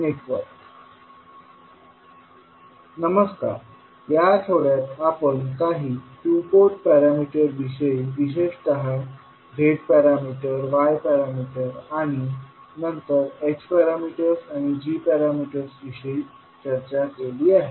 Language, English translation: Marathi, Namaskar, so in this week we discussed about few two Port parameters precisely Z parameters, Y parameters and then H parameters, G parameters